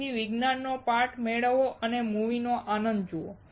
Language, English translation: Gujarati, So, get the science part and enjoy the movie right see